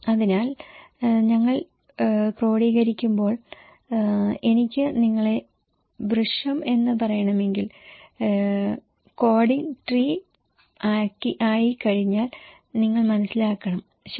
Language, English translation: Malayalam, So, when we are codifying, if I want to say you tree, you should understand after the coding is as tree, okay